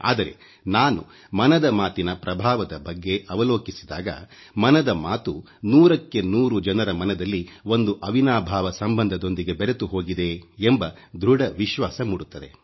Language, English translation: Kannada, But whenever I look at the overall outcome of 'Mann Ki Baat', it reinforces my belief, that it is intrinsically, inseparably woven into the warp & weft of our common citizens' lives, cent per cent